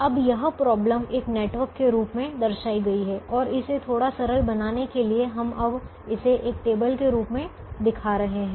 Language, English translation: Hindi, now this problem is shown in the form of a network and to make it little simpler, we now show it in the form of a table